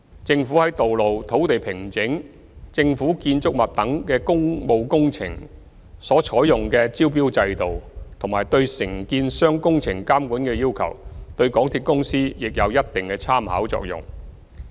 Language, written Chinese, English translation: Cantonese, 政府在道路、土地平整、政府建築物等的工務工程所採用的招標制度和對承建商工程監管的要求，對港鐵公司亦有一定的參考作用。, The tendering system adopted by the Government for public works projects such as road works land levelling and government buildings and the requirements for supervision of the works of contractors have a certain reference value to MTRCL